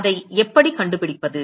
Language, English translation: Tamil, How do you find that